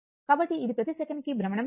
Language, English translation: Telugu, So, number of revolution per second